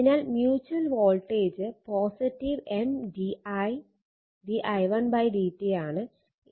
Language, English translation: Malayalam, So, mutual voltage is plus M d i1 upon d t are